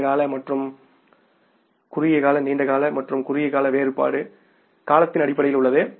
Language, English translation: Tamil, The distinction between the long term and short term is in terms of the time